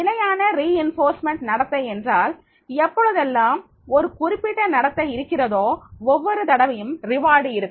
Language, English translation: Tamil, Fixed reinforcement behavior means that is the whenever there will be a particular behavior there will be reward every time